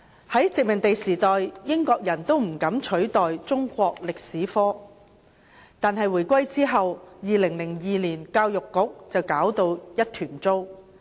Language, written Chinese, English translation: Cantonese, 在殖民地時代，英國人尚且不敢取締中史科，但回歸後，教育局在2002年卻搞到一團糟。, During the colonial era not even the British dared to proscribe Chinese History . However after the reunification the Education Bureau made a mess in 2002 when it introduced the curriculum reform which has no merits worth mentioning